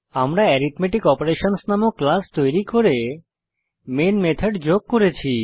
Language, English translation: Bengali, We have created a class by name Arithmetic Operations and added the main method